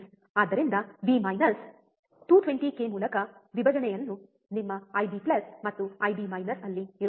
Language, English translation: Kannada, So, V minus, right divide by 220 k, there will be your I B plus and I B minus